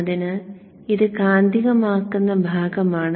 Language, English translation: Malayalam, So this is IM, the magnetizing part